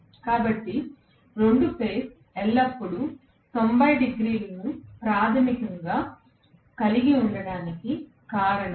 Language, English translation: Telugu, So, that is the reason why the 2 phase is always having 90 degrees basically, right